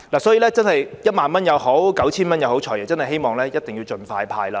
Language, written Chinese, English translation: Cantonese, 所以，不論是1萬元或 9,000 元，我們真的希望"財爺"能夠盡快派發。, So whether it be 10,000 or 9,000 we really hope that the Financial Secretary can disburse the money expeditiously